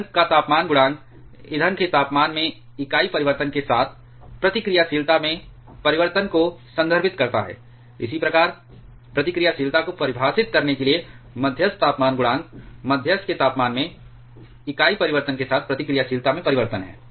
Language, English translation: Hindi, Fuel temperature coefficient refers to the change in reactivity with unit change in the temperature of the fuel, similarly moderator temperature coefficient of reactivity defines, the change in reactivity with unit change in the temperature of the moderator